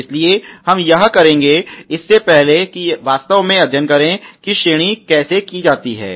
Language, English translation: Hindi, So, we will we do that, but before try to that lets actually study how the ranking is done